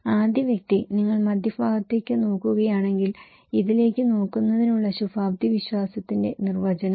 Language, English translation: Malayalam, The first person, if you look into the middle one, definition of an optimism of looking into this